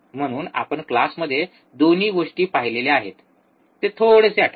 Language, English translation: Marathi, So, we have seen both the things in the class so, just recall it